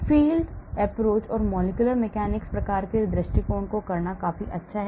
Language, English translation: Hindi, It is good enough to do force field approach or molecular mechanics type of approach